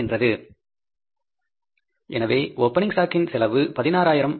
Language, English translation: Tamil, So we are putting here the cost of opening stock is 16,000